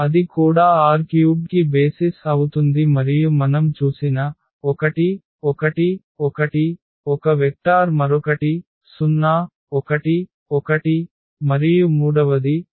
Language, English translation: Telugu, So, that will also form the basis for R 3 and the example we have seen those 1 1 1 that was 1 vector another one was 1 0 and the third one was 1 0 0